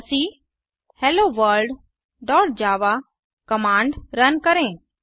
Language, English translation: Hindi, Run the command javac HelloWorlddot java